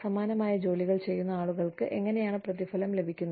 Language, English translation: Malayalam, How people doing, similar kind of jobs, are being paid